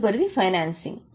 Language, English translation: Telugu, Next is financing